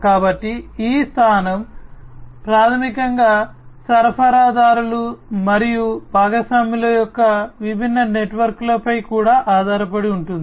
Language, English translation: Telugu, So, this position basically also depends on the different networks of suppliers and the partners